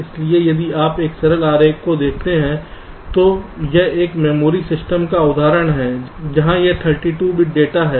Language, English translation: Hindi, so if you look at this simple diagram, this is the example of a memory system where there are, lets say, thirty two bit data